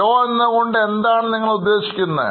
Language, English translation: Malayalam, What you mean slow